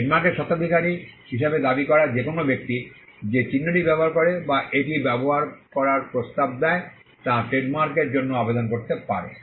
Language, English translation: Bengali, Any person claiming to be the proprietor of a trademark, who uses the mark or propose to use it can apply for a trademark